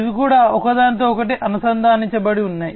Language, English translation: Telugu, So, these are also interconnected